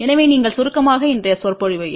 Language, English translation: Tamil, So, just you summarize today's lecture